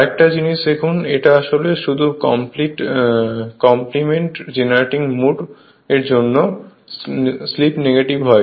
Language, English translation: Bengali, See another thing is the this is actually the this is just for the sake of compliment generating mode and slip is negative